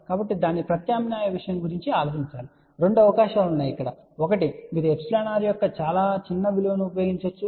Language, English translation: Telugu, So, one should think about the alternate thing the two possibilities are there , one is if you use a very small value of epsilon r